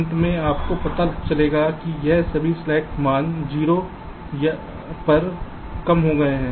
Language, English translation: Hindi, at the end you will be finding that all this slack values have been reduce to zero